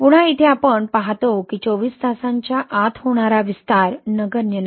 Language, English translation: Marathi, Again here we see that within twenty four hours, the expansion of occurring twenty four hours within twenty four hours is not insignificant